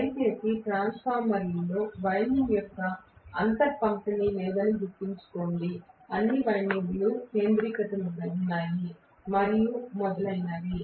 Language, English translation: Telugu, Please remember that in transformer, there is no space distribution of winding, all the windings were concentric and so on and so forth